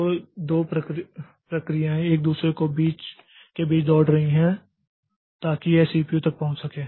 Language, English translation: Hindi, So, two processes they are racing between each other's so that it can get access to the CPU